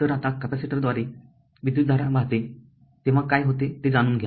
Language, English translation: Marathi, So, now you know let us consider what happens as current flows through a capacitor right